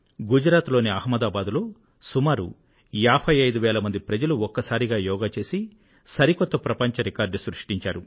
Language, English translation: Telugu, In Ahmedabad in Gujarat, around 55 thousand people performed Yoga together and created a new world record